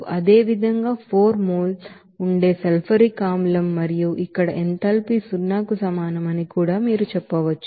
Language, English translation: Telugu, Similarly, sulfuric acid that will be 4 mole and also you can say that here enthalpy will be is equal to zero